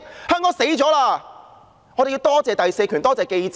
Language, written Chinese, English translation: Cantonese, 因此，我們要多謝第四權，多謝記者。, Therefore we have to thank the fourth estate and reporters